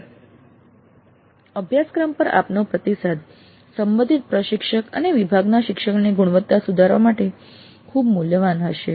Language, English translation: Gujarati, Your considered feedback on the course will be of great value to the concerned instructor and the department in enhancing the quality of learning